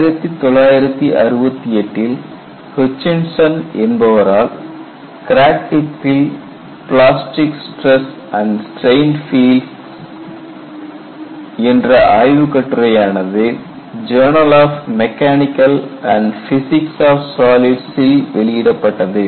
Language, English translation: Tamil, And you have a paper by Hutchinson plastic stress and strain fields at a crack tip published in journal of the mechanics and physics of solids